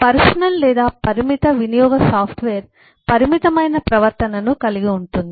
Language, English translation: Telugu, the personal or limited use software has a limited set of behavior